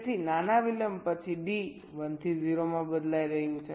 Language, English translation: Gujarati, so after small delay, d is changing from one to zero